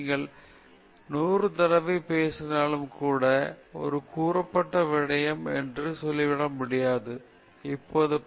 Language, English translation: Tamil, Even if you say hundred times, we cannot say that it is over stated, because new evidence only confirms this more and more okay